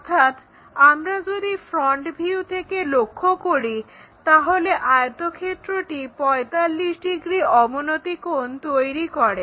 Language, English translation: Bengali, That means, if we are looking from front view the rectangle is making an angle 45 degrees inclination